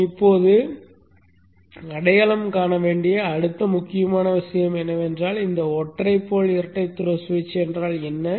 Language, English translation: Tamil, The next important thing that we need to now identify is what is this single pole double throw switch